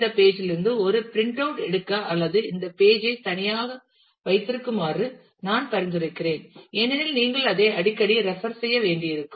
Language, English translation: Tamil, I would suggest that you take a print out of this page or keep this page separately because you will frequently need to refer to it